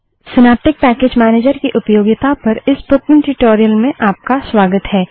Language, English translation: Hindi, Welcome to this spoken tutorial on how to use Synaptic package manager